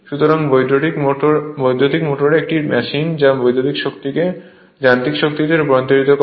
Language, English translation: Bengali, So, electric motor is a machine which converts electrical energy into mechanical energy, this is DC motor